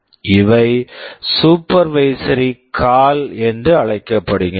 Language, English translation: Tamil, These are called supervisory calls